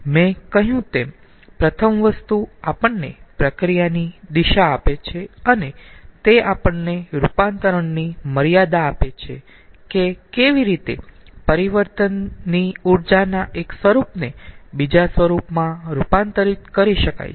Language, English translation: Gujarati, first thing, i have told it gives us the direction of a process and it gives us the limits of conversion, how one form of energy, ah in transit can be converted into another form